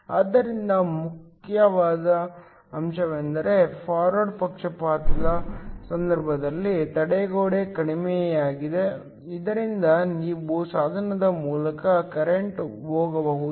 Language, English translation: Kannada, So, the important point is that in the case of a forward bias, the barrier is lower, so that you can have a current going through the device